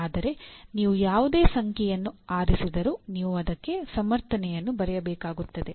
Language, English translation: Kannada, But whatever number that you choose, whether 3, 2, or 1 you have to write a justification